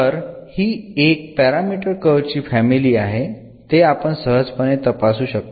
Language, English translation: Marathi, So, this is a one parameter family of curves and we one can easily verify that